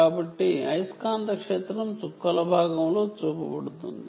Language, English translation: Telugu, so the magnetic field is what is shown in the dotted part